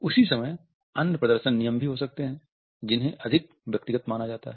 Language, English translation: Hindi, At the same time there may be other display rules which are considered to be more personal